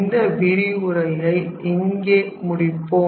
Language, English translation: Tamil, So, we will stop this lecture at here